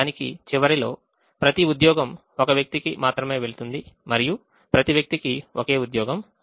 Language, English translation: Telugu, at the end of it, every job goes to only one person and every person gets only one job